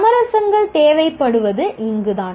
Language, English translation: Tamil, This is where compromises are required